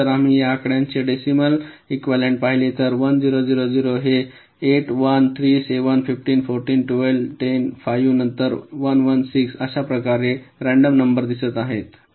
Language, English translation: Marathi, and if you look at the decibel equivalent of this numbers, eight, one zero, zero zero is eight one, three, seven, fifteen, fourteen, twelve, ten, five, ah, then eleven, six or so on, these numbers look random